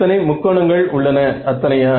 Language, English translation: Tamil, As many triangles I mean as many elements